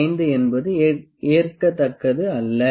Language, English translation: Tamil, 5 is it is not acceptable